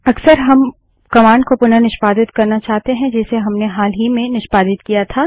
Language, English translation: Hindi, Often we want to re execute a command that we had executed in the recent past